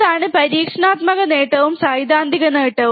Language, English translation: Malayalam, That is the experimental gain and what is the theoretical gain